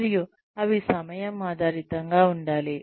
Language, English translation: Telugu, And, they should be time based